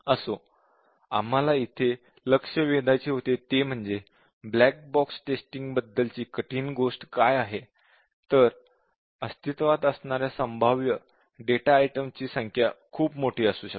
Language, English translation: Marathi, Anyway, what we really wanted to point out here is that, the hard thing about black box testing is that, the number of possible data items are extremely large